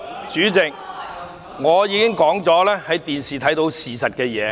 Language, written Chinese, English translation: Cantonese, 主席，我剛才已經說過，事實在電視上有目共睹。, President as I said just now the facts broadcast on television were seen by all